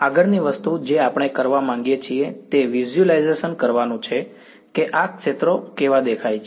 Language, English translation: Gujarati, The next thing we would like to do is to visualize what these fields look like ok